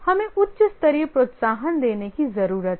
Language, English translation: Hindi, We need to give a higher level incentive